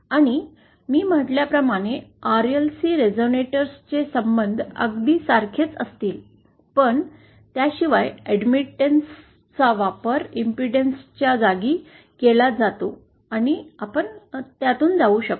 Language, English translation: Marathi, And the relations for a shunt RLC resonator, will have very similar as I said but except that admittances are used in place of impedance and so on and we can go through it